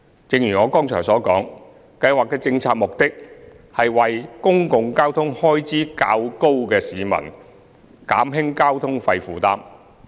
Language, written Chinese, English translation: Cantonese, 正如我剛才所述，計劃的政策目的，是為公共交通開支較高的市民減輕交通費負擔。, As aforementioned the policy objective of the Scheme is to alleviate the fare burden of commuters whose public transport expenses are relatively high